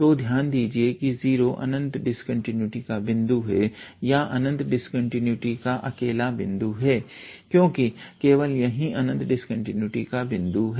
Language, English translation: Hindi, So, note that 0 is the point of infinite discontinuity or only point of infinite discontinuity we can use the term only is the only point of infinite discontinuity